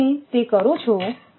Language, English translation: Gujarati, So, if you do